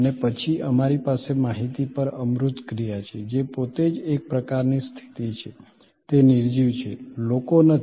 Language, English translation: Gujarati, And then, we have intangible action on information, which is by itself a kind of a position, it is inanimate not people